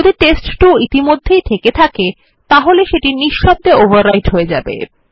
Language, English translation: Bengali, If test2 already existed then it would be overwritten silently